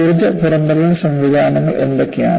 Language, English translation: Malayalam, What are the energy dissipating mechanisms